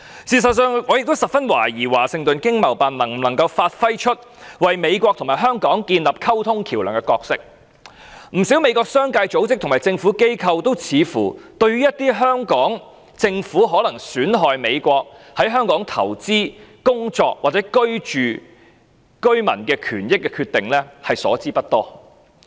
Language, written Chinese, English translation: Cantonese, 事實上，我也懷疑華盛頓經貿辦能否發揮為美國與香港建立溝通橋樑的角色，不少美國的商界、組織和政府機構，都似乎對於香港政府可能損害在港投資、工作或居住的美國公民的權益的決定所知不多。, As a matter of fact I also suspect whether the Washington ETO can act as the communication interface between the United States and Hong Kong . Quite many United States businessmen organizations and government agencies seem inadequately informed of decisions of the Hong Kong Government that may undermine the rights of the United States citizens having investment working or living in Hong Kong